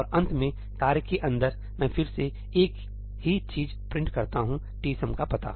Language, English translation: Hindi, And finally, inside the task, I again print the same thing the address of tsum